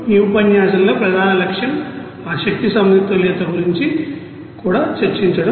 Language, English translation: Telugu, Now, in this lecture main objective was to discuss that energy balance also